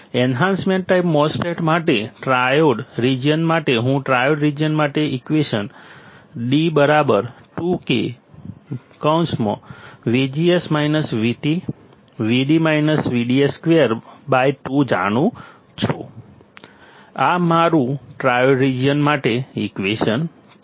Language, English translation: Gujarati, For enhancement type MOSFET, for triode region, I know the equation for triode region I D equals to 2 times K into bracket V G S minus V T into V D S minus V D S square by two bracket over; this is my equation for triode region